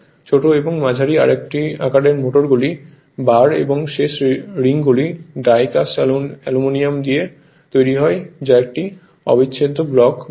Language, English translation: Bengali, In small and medium size motors, the bars and end rings are made of die cast aluminium moulded to form an in your what you call an integral block